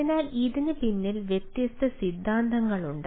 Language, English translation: Malayalam, so there are different theories behind this